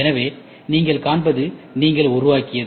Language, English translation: Tamil, So, what you see is what you build